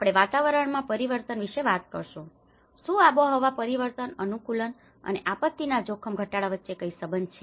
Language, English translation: Gujarati, We talk about the climate change, is there a relationship between climate change adaptation and the disaster risk reduction